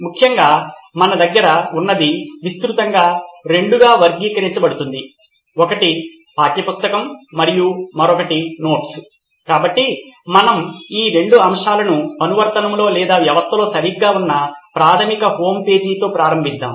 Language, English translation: Telugu, Essentially what we have in the solution would broadly be classified into two, one is the textbook and 1, the other would be the notes, so let us start with a basic homepage where we have these 2 aspects in the application or the system right